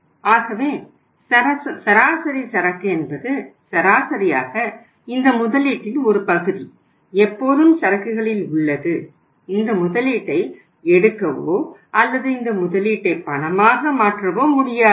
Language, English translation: Tamil, So average inventory means on an average this much of investment always remain remains in the inventory and we are not able to to liquidate this investment or convert this investment into cash